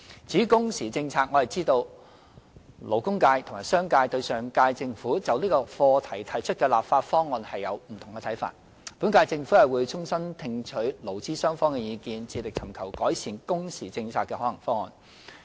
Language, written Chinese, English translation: Cantonese, 至於工時政策，我知道勞工界和商界對上屆政府就這項課題提出的立法方案有不同看法，本屆政府會衷心聽取勞資雙方的意見，致力尋求改善工時政策的可行方案。, As for the working hours policy I am aware that the labour and business sectors hold different views on the legislative proposal put forward by the last - term Government on this subject . The current - term Government will sincerely listen to the views expressed by employees and employers with a view to identifying feasible proposals to improve the working hours policy